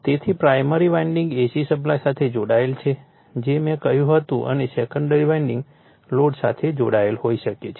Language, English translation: Gujarati, So, primary winding is connected to AC supply I told you and secondary winding may be connected to a load